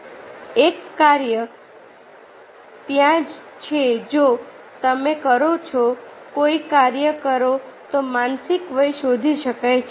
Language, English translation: Gujarati, a task is there if you perform, if one performs the task, then the mental age can be found out